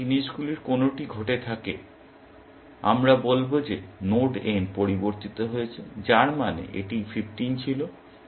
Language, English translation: Bengali, If any of these things happened, we will say that node n has changed, which means, it was 15 originally